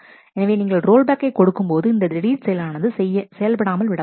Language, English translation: Tamil, So, as you give rollback these deletion operations get undone